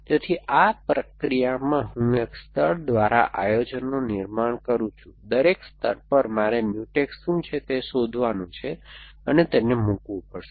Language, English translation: Gujarati, So, in this process, I construct the planning a layer by layer, at every layer I have to find what are the Mutex and put them in